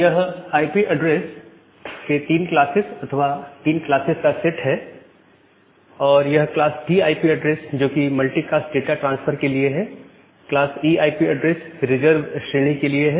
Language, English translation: Hindi, These 3 sets of a 3 classes of IP addresses and then class D IP address is for a multi cast data transfer and class E IP address is for the reserved category